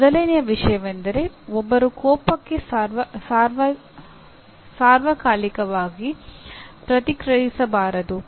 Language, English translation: Kannada, One of the first things is one should not react to anger in the same way all the time